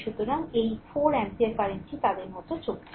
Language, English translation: Bengali, So, this 4 ampere current is going like these